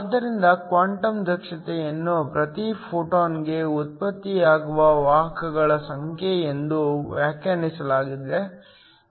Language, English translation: Kannada, So, The quantum efficiency is defined as the number of carriers that are generated per photon